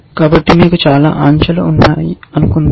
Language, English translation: Telugu, So, supposing you have many elements which are out of place